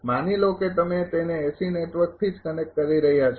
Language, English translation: Gujarati, It's suppose you are connecting it to AC network right